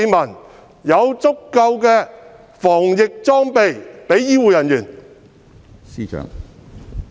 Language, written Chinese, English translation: Cantonese, 何時才有足夠的防疫裝備給醫護人員？, When will an adequate supply of protective equipment be provided to health care workers?